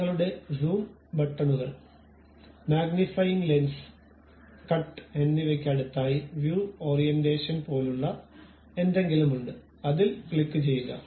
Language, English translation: Malayalam, Next to your Zoom buttons, magnifying lens, cut and other thing there is something like View Orientation, click that